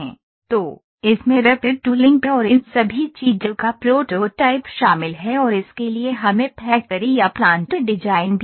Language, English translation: Hindi, So, this includes prototyping rapid tooling and all these things and also we need to have factory or plant design